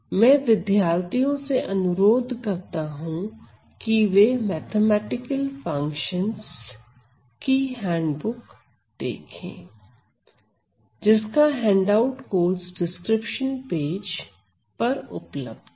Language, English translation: Hindi, So, again students are requested to look at the handbook, the handbook of mathematical functions; that is what I have listed in my handout in my course description page